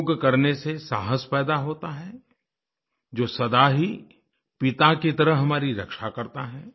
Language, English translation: Hindi, The practice of yoga leads to building up of courage, which always protects us like a father